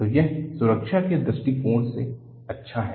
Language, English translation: Hindi, So, it is good from the point of view of safety